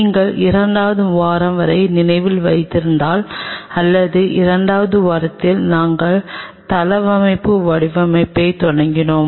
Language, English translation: Tamil, And if you recollect up to a second week or during the second week we have started the layout design